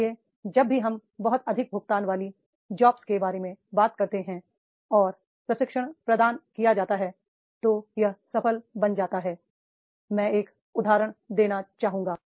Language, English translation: Hindi, So, whenever we talk about really highly paid jobs and the trainings are to be provided then it becomes a new new one example